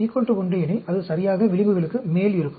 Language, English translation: Tamil, If alpha is equal to 1, it will be lying exactly over the edges